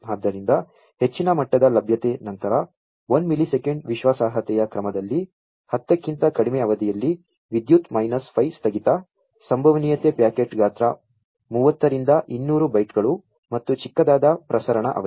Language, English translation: Kannada, So, high levels of availability then into entrance e of in the order of 1 millisecond reliability in less than 10 to the power minus 5 outage, probability packet size of thirty to 200 bytes, and small smaller transmission duration